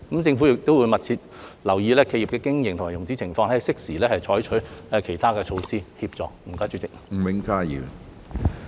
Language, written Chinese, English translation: Cantonese, 政府會密切留意企業的經營及融資情況，並適時採取其他措施予以協助。, The Government will keep in view the operation and financing situation of enterprises and take different measures to assist enterprises in a timely manner